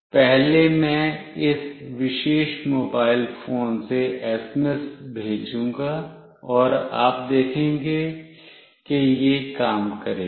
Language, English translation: Hindi, First I will send SMS from this particular mobile phone, and you see that it will work